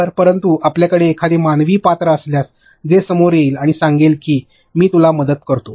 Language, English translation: Marathi, So, but if you have a human character which will simply come up and tell you let me help you